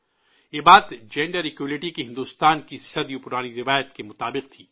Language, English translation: Urdu, This was in consonance with India's ageold tradition of Gender Equality